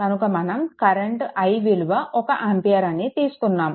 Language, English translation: Telugu, So that means, your i is equal to 1 ampere